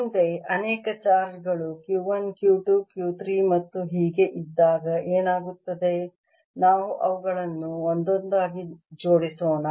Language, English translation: Kannada, next, what happens when many charges q one, q two, q three and so on, or there, let's assemble them one by one